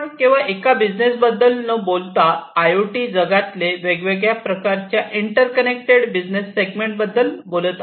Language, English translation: Marathi, And we are talking about not one business in a true IoT world, we are talking about connecting different business segments